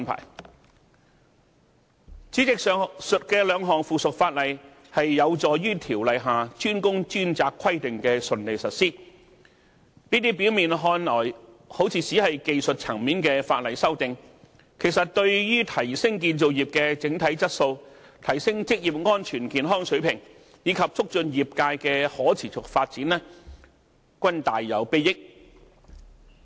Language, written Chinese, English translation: Cantonese, 代理主席，上述兩項附屬法例有助於《條例》下"專工專責"規定的順利實施，這些表面看來只是技術層面的法例修訂，其實對於提升建造業的整體質素、提升職業安全健康水平，以及促進業界的可持續發展均大有裨益。, Deputy President these two items of subsidiary legislation will facilitate the smooth implementation of the DWDS requirement under CWRO . These seemingly technical amendments are in fact enormously beneficial to enhancing the overall quality of the construction industry improving occupational safety and health and promoting sustainable development of the industry